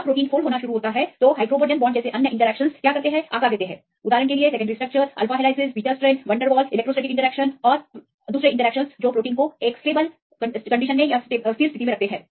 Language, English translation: Hindi, When it start folding then the other interactions like hydrogen bonds give the shape; for example, secondary structures, alpha helixes and beta strands and the van der Waals electrostatic interactions and keep the protein in a stable state